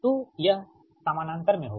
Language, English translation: Hindi, it is in parallel